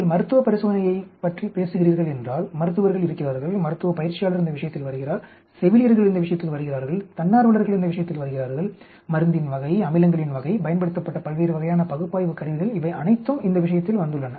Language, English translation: Tamil, If you are talking about clinical trails you have our doctors, medical practitioner is coming into picture, you have nurses coming into picture, you have the volunteers coming into picture, the type of drug, the type of acids, the different type of analytical tools used all these come into picture